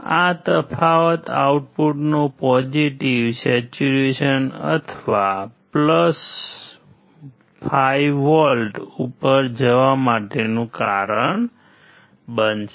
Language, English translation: Gujarati, This difference will cause the output to go to the positive saturation or + 5V